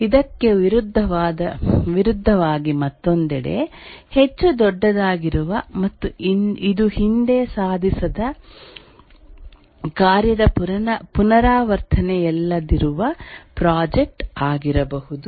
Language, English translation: Kannada, On the other hand, in contrast to this, in project it will be much more large and it's not a repetition of a previously accomplished task